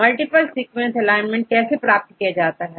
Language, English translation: Hindi, How to get the multiple sequence alignment